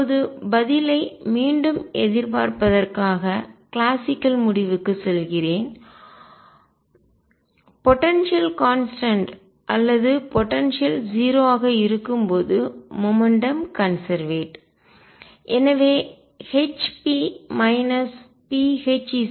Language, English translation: Tamil, Now to anticipate the answer again I go back to the classical result that in the case when the potential is constant or potential is 0 momentum is conserved